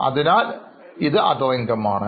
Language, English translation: Malayalam, Now what is other income